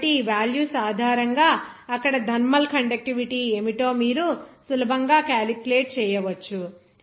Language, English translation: Telugu, So, based on these values, you can easily calculate what should be the thermal conductivity there